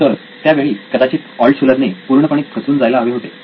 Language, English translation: Marathi, So Altshuller should have been totally crestfallen